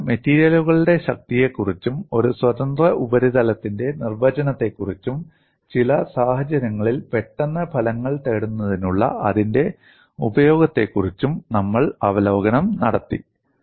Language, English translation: Malayalam, Then we took up review of strength of materials followed by what is a definition of a free surface, and its utility for getting quick results in certain situations